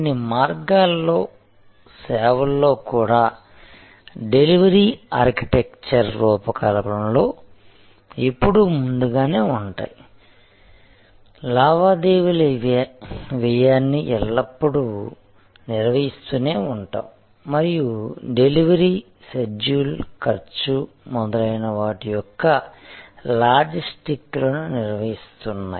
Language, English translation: Telugu, In some ways in services also therefore, in designing the delivery architecture, the focuses always been on earlier, is always been on managing the transaction cost and managing the logistics of delivery, schedule, cost and so on